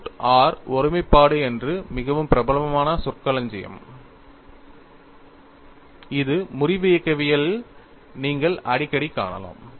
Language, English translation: Tamil, And root r singularity is a very famous terminology which you have come across very often in fracture mechanics